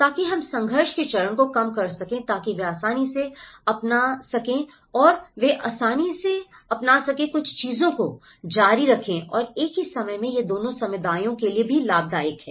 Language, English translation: Hindi, So that we can reduce the conflict stage so that they can easily adapt and they can easily continue certain things and at the same time it is a benefit for both the communities